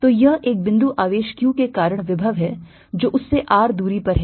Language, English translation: Hindi, so this is the potential due to a point charge q at a distance r from it